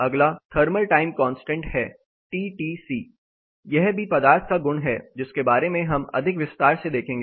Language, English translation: Hindi, Next is thermal time constant; TTC, it is also a material property we look more in detail about this